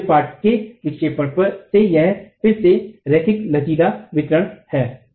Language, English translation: Hindi, So the mid span deflection from a, this is again linear elastic distribution